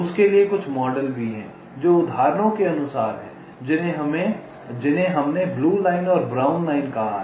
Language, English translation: Hindi, there are some models for that, also, like the examples that we have said: the blue line and the brown line